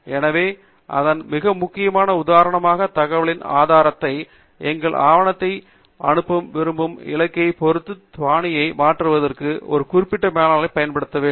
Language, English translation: Tamil, So, its very important, for example, to use a reference manager to be able to change the style depending upon the source of information and the target where we want to send our document